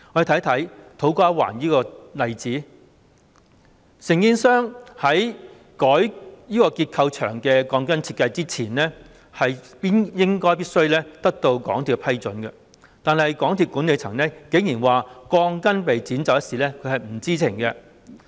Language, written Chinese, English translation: Cantonese, 以土瓜灣站為例，承建商在更改結構牆的鋼筋設計前，應該必須獲得港鐵公司批准，但是，港鐵公司管理層竟然表示對鋼筋被剪走一事並不知情。, Let us take To Kwa Wan Station as an example . The contractor should have obtained approval from MTRCL before altering the design of the steel bars for structural walls but MTRCLs management actually said that it knew nothing about the steel bars being cut short